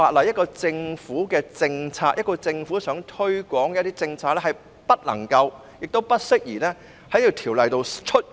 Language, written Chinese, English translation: Cantonese, 一個政府想推廣一些政策的話，這項條文不能夠亦不適宜加入《條例草案》內。, If a government wants to promote certain policies such a clause cannot be added to the Bill and it is also inappropriate to do so